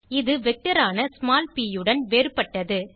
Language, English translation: Tamil, Which is different from small p that was a vector